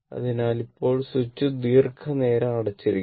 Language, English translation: Malayalam, So now, switch is closed for long time